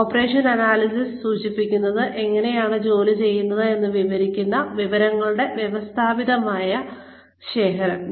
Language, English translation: Malayalam, Operations analysis refers to, a systematic collection of information, that describes, how work is done